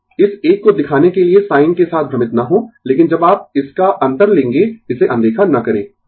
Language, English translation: Hindi, So, do not confuse with the sign this is to show this one right, but when you will take the difference of this do not ignore this one